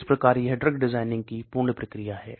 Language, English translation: Hindi, So these are entire drug development process actually